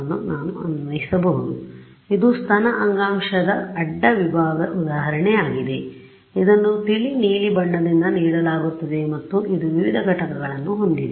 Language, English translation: Kannada, So, this is an example just sort of cooked up example of a cross section of let us say breast tissue, which is given by light blue and it has various components ok